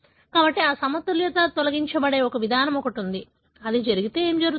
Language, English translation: Telugu, So, there is a mechanism by which this mismatch is removed, but if it does gets, what happens